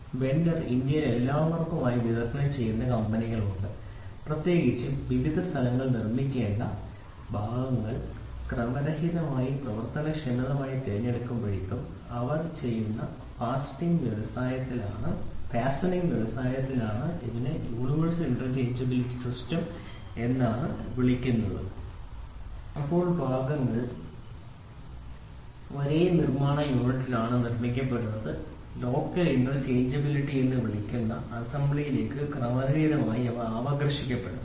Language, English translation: Malayalam, So, a single vendor there are companies today in India which supplies to all those people and they are particularly in the fastening industry they do it when the parts are to be manufactured at different locations are randomly chosen workably it is called as universal interchangeability, when the parts are manufactured at the same manufacturing unit are randomly drawn into the assembly it is called as local interchangeability